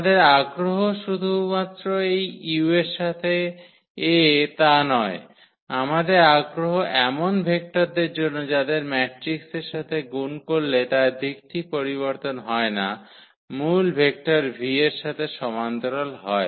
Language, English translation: Bengali, So, our interest is not exactly this u with this A, our interest is for such vectors whose multiplication with that matrix does not change its direction its a parallel to the original vector v